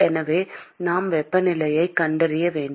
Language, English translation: Tamil, So, we need to find the temperatures